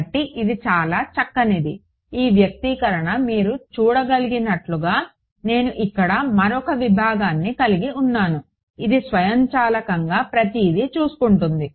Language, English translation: Telugu, So, this is pretty much as far as this goes, this expression as you can see supposing I have another segment over here, it automatically takes care of everything right